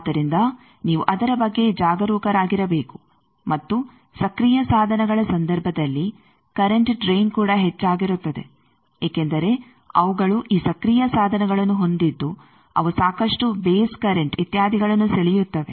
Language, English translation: Kannada, So, you will have to be careful about that and current drain also increases in case of active devices because they have these active devices they draw lot of base currents etcetera